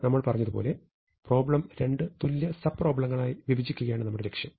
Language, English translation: Malayalam, As we said our aim is to break up problem into two equal sub problems